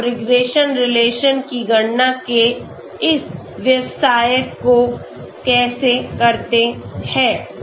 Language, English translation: Hindi, So how do you go about doing this business of calculating the regression relation